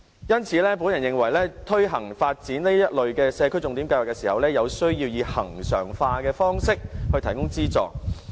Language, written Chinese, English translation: Cantonese, 因此，我認為推行發展這類社區重點計劃時，有需要以恆常化的方式提供資助。, Therefore we should make the whole thing recurrent with regular funding in taking forward the development of this kind of signature schemes